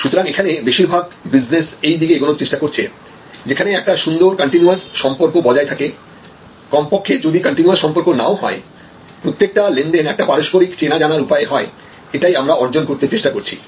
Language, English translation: Bengali, So, the idea therefore, is that more and more businesses are trying to move in this direction, where you have better a continuous relationship at least if there is no continuous relationship, each transaction is based on mutual knowledge that is what we are trying to achieve